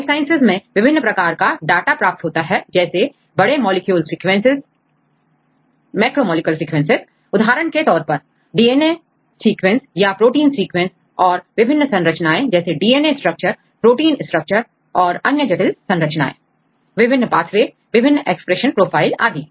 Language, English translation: Hindi, So, if we look into this life sciences there are produced a lot of data right on a various aspects such as the macromolecule sequences for example, DNA sequence or protein sequence right and the structures, protein structures, DNA structures, complex structures and so on different expression profiles different pathways and so on